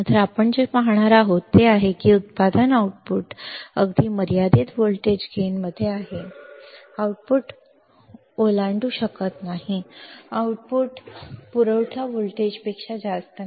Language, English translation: Marathi, So, what we will see, what we will see is that the output this output even it is in finite voltage gain, even it is in finite voltage gain, the output cannot exceed, output cannot exceed more than more than the supply voltage more than the supply voltage